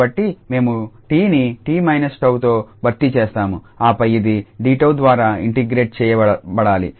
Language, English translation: Telugu, So, we have replaced t by t minus tau and then this has to be integrated over d tau